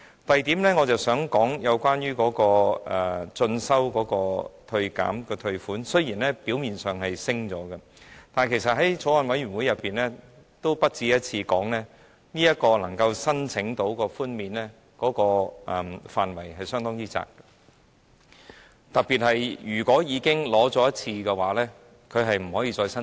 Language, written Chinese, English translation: Cantonese, 第二，我想說的是關於個人進修開支的扣除額，雖然表面上增加了，但其實在法案委員會上，我也不止一次說，能夠申請寬免的範圍相當狹窄，特別是如果已經申請一次，便不可以再度申請。, Secondly I wish to talk about the deduction amount for self - education expenses . On the surface it is increased but actually I have mentioned in the Bills Committee on more than one occasion that the scope for claiming concessions is quite narrow particularly when an application has been made no further applications could be made